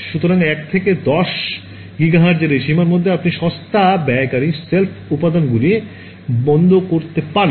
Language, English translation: Bengali, So, in this range 1 to 10 gigahertz you can get off the shelf components that are inexpensive right